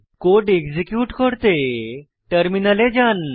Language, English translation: Bengali, Lets execute the code.Go to the terminal